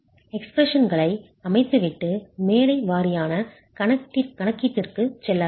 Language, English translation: Tamil, Let me set up the expressions and then go to the stage wise calculation